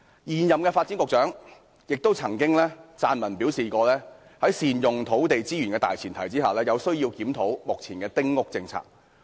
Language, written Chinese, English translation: Cantonese, 現任發展局局長曾撰文表示，在善用土地資源的大前提下，有需要檢討丁屋政策。, The incumbent Secretary for Development has also written that it is necessary to review the small house policy on the premise of optimal utilization of land resources